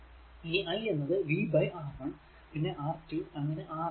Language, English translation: Malayalam, Now i 1 is equal to v upon R 1 i 2 is equal to v upon R 2